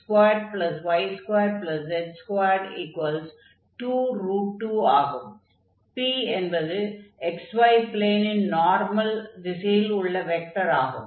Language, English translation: Tamil, So, the vector this p, which is on the direction normal to this x y plane